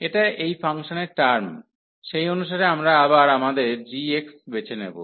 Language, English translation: Bengali, So, this is the term here in this function, so accordingly we will choose now again our g x